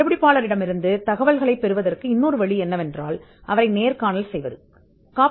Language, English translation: Tamil, Another way to get information from the inventor is, by interviewing the inventor